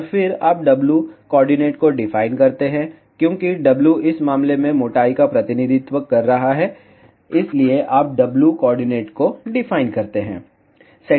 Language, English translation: Hindi, And then, you define the W coordinates, because W is representing the thickness in this case, so you define W coordinates